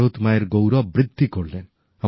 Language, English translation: Bengali, They enhanced Mother India's pride